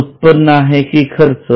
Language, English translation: Marathi, Is it an income or expense